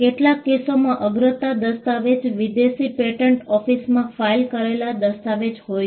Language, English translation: Gujarati, In some cases, there could be a priority document which is a document filed in a foreign patent office